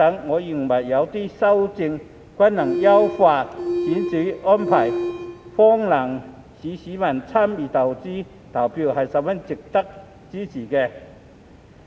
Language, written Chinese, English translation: Cantonese, 我認為，這些修訂均能優化選舉安排，亦能方便市民參與選舉投票，是十分值得支持的。, I find these amendments worthy of our support as they can enhance the electoral arrangements and facilitate the public to vote in elections